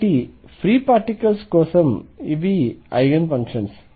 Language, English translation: Telugu, So, for free particles this is the Eigen functions